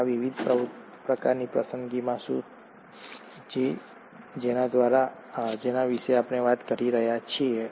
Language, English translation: Gujarati, So what are these different kinds of selections that we are talking about